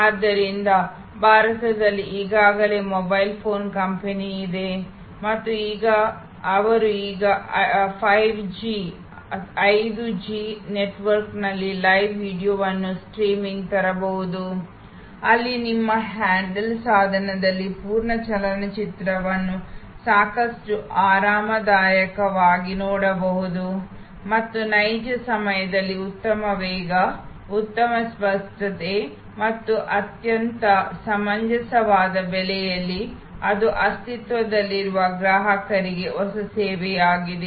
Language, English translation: Kannada, So, there is a already mobile phone company in India and they can now bring live videos streaming on 5G network, where you can see a full movie quite comfortable on your handle device and real time good speed, good clarity and at a very reasonable price; that is a new service to existing customer